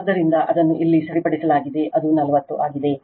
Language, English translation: Kannada, So, it is corrected here it is 40 right